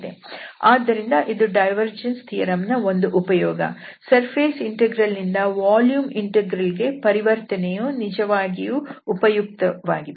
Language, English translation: Kannada, So, that is one of the applications of this divergence theorem with this conversion from the surface integral to the volume integral actually works